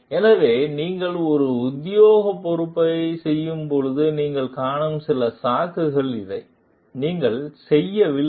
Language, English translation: Tamil, So, these are certain excuses that you find when you are doing an official responsibility, you are not doing